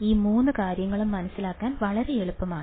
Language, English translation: Malayalam, All three things you understand very easy to understand